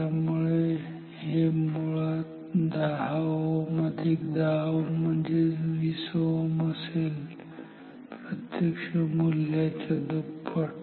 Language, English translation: Marathi, So, this will be actually 10 ohm plus 10 ohm 20 ohm double of the true value